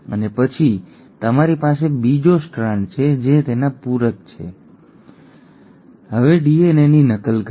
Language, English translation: Gujarati, And then you have a second strand which is complementary to it, where this becomes the 5 prime end and this becomes the 3 prime end